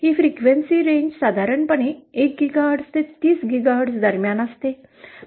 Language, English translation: Marathi, This frequency range is usually between 1 GHz to 30 GHz